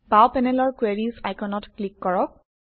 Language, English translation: Assamese, Let us click on the Queries icon on the left panel